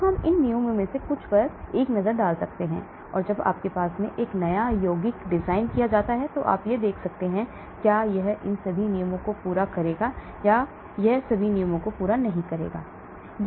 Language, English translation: Hindi, So we can have a look at some of these rules and when you have a new compound designed, you can check it out whether it will satisfy all these rules or whether it does not satisfy all the rules